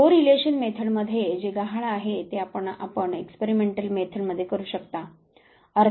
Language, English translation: Marathi, Something is missing in correlation research that you can do in experimental research